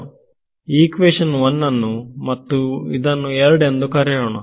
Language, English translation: Kannada, So, let us call this equation 1 and this is now equation 2